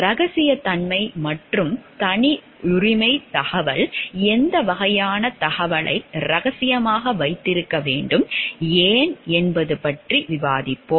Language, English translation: Tamil, We will discuss about the confidentiality and proprietary information, what type of information should be kept confidential and why